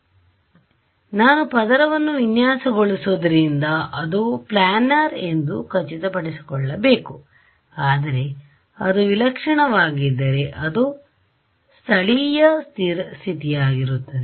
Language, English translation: Kannada, Because I am designing of the layer, so I am going to I make sure that is planar ok, but if it is weird then it is weird then it will only be a local condition approximately too